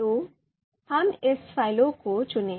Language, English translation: Hindi, So let us run this code